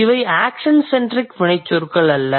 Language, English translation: Tamil, So, these are not really the action centric verbs